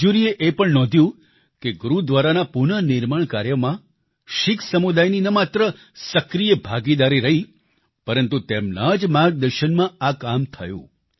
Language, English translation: Gujarati, The jury also noted that in the restoration of the Gurudwara not only did the Sikh community participate actively; it was done under their guidance too